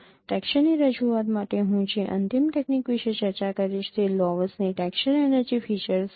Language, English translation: Gujarati, The last technique which I will be discussing for texture representation is laws texture energy features